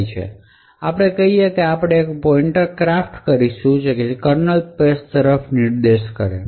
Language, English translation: Gujarati, Now let us say that we craft a pointer which is pointing to the kernel space